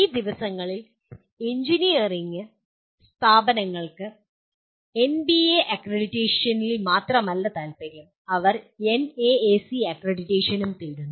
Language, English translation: Malayalam, Because these days engineering institutions are not only interested in NBA accreditation, they are also seeking NAAC accreditation